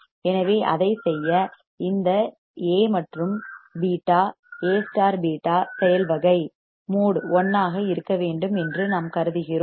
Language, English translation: Tamil, So, to do that what is the what is the thing that we require that this A and beta the mode of A beta should be 1